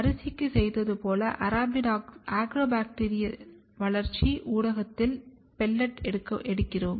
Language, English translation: Tamil, So, for that what we do first we pellet the Agrobacterial culture as we did similarly for rice